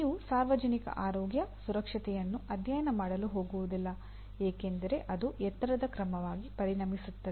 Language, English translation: Kannada, You are not going to go and study public health, safety because it will become a tall order